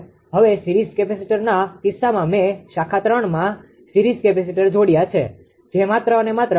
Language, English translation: Gujarati, Now what per in the case of series capacitor I have made a series capacitor connected in branch 3 that is here only here only righ